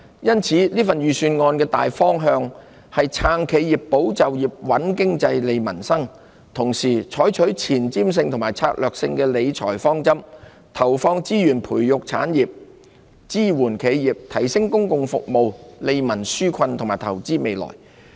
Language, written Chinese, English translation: Cantonese, 因此，這份預算案的大方向是"撐企業、保就業、穩經濟、利民生"，同時採取具前瞻性和策略性的理財方針，投放資源培育產業、支援企業、提升公共服務、利民紓困和投資未來。, Hence the Budget was prepared in the direction of supporting enterprises safeguarding jobs stabilizing the economy strengthening livelihoods with the adoption of forward - looking and strategic financial management principles aimed at nurturing industries supporting enterprises enhancing public services relieving peoples burden and investing for the future through the allocation of resources